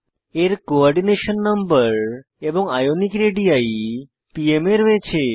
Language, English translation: Bengali, * Its Coordination number and * Ionic radii value in pm